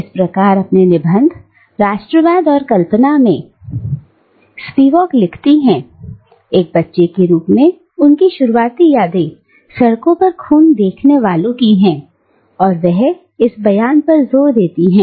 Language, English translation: Hindi, Thus, in her essay "Nationalism and Imagination," Spivak writes, that her earliest memories as a child are those of seeing blood on the streets and she emphasises on the statement